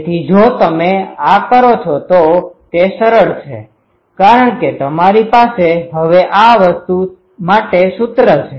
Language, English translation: Gujarati, So, these, if you do this is simple because you now have the expression for this thing